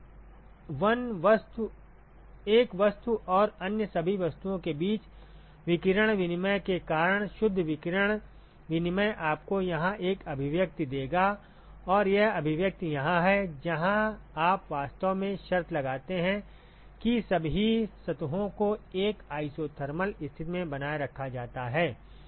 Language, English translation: Hindi, So, the net radiation exchange because of radiation exchange between 1 object and all the other objects that balance will give you this expression here, and this expression here is where you actually impose the condition that all the surfaces are maintained at an isothermal condition right